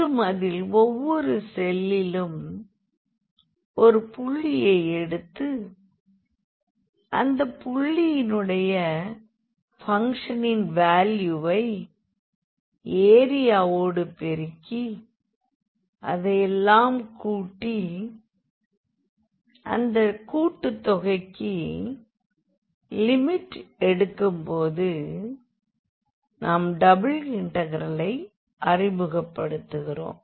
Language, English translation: Tamil, And, then in each cell we had taken a point and the corresponding value of the function at that point was multiplied by the area and that was summed up and taking the limit of that sum we introduce the double integral